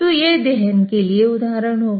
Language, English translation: Hindi, So, this will be for an example in combustion